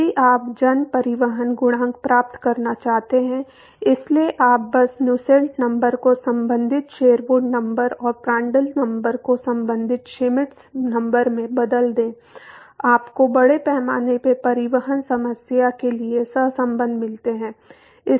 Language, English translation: Hindi, If you want to get mass transport coefficient; so, you simply replace the Nusselt number with the corresponding Sherwood number and Prandtl number with the corresponding Schmidt number you get the correlations for the mass transport problem